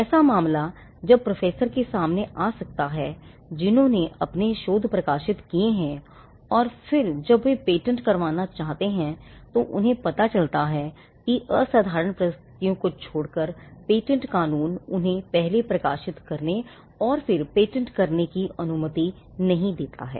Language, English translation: Hindi, This could be a case that many professors may come across, they have published their research and then they want to patent it only to realize that patent law does not allow them to first publish and then patent; except in exceptional circumstances